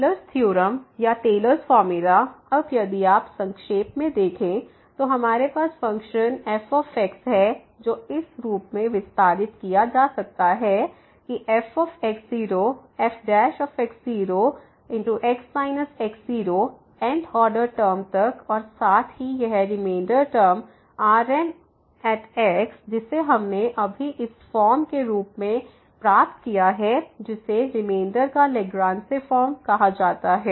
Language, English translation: Hindi, The Taylor’s theorem or the Taylor’s formula now if you summarize we have the function which can be expanded in this form of f prime minus up to the this th order term and plus this reminder term which we have just derived as this form which is called the Lagrange form of the reminder